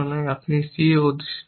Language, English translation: Bengali, I am holding c